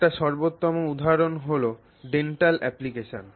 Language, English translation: Bengali, Let's say in dental applications